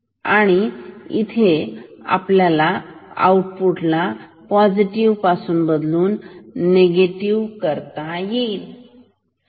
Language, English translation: Marathi, So, here we will change the output from positive to negative